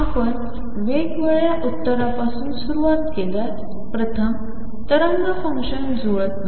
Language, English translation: Marathi, Since we started with different slopes first the wave function did not match